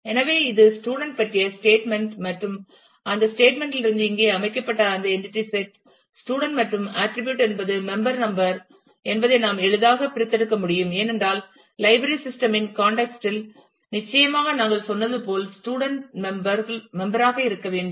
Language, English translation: Tamil, So, this is the statement about the student and from that statement, we can easily extract that entity set here is student and the attributes are member number, because certainly in the context of the library system as we said the; student has to be a member